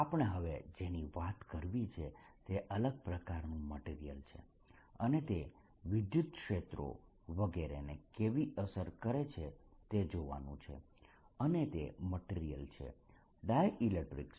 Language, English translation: Gujarati, what we want to talk about now is another kind of material and how they affect the fields, etcetera is dielectrics in particular